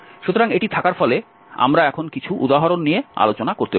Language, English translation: Bengali, So, having this we can now discuss some of the examples